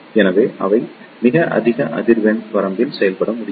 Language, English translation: Tamil, So, they can operate up to very high frequency range